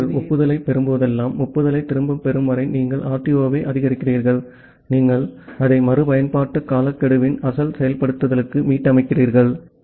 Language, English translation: Tamil, So, that way you increment the RTO until you get back the acknowledgement whenever you are getting the acknowledgement again you reset it to the original implementation of retransmission timeout